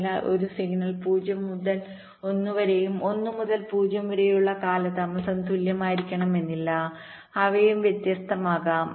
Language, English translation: Malayalam, so the delays when a signal is going from zero to one and going from one to zero may need not necessary be equal, they can be different also